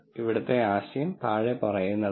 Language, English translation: Malayalam, The idea here is the following